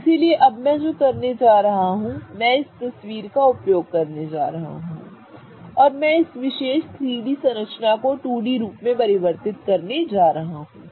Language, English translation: Hindi, So, what I am going to do now is I am going to use this photograph and I am going to convert this particular 3D structure into a 2D form